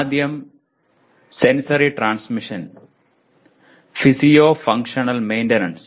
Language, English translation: Malayalam, First thing is sensory transmission, physio functional maintenance